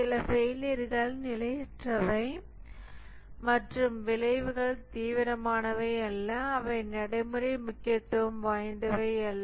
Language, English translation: Tamil, Some failures are transient and consequences are not serious and they are of little practical importance